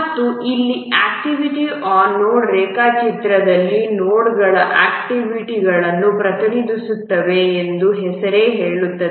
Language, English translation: Kannada, And here in the activity on node diagram as the name says that the nodes represent the activities